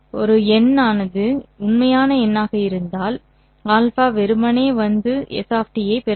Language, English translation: Tamil, If alpha happens to be a real number, then alpha will simply come and multiply S of T